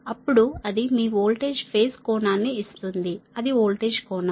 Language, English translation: Telugu, then it will give the your voltage phase angle